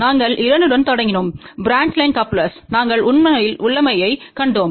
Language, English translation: Tamil, We had started with a 2 branch line coupler, we actually saw the configuration